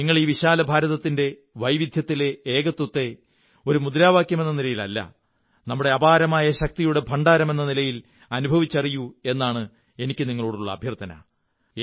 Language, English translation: Malayalam, I request you too, to feel the "Unity in Diversity" which is not a mere slogan but is a storehouse of enormous energy